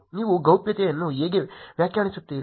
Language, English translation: Kannada, How you define privacy